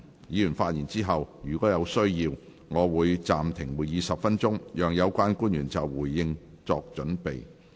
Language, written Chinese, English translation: Cantonese, 議員發言後，若有需要，我會暫停會議10分鐘，讓有關官員就回應作準備。, After Members have spoken if necessary I will suspend the meeting for 10 minutes for the relevant public officers to prepare their response